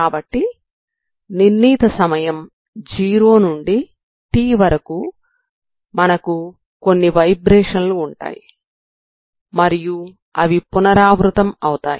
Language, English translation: Telugu, So with some so over a time so fixed time 0 to t with the time period so we will have some vibrations and it repeats periodically